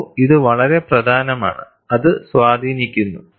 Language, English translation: Malayalam, See, this is very important, that influences